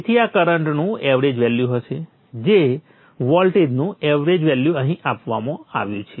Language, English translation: Gujarati, So this would be the average value of the current, the average value of the voltage is given here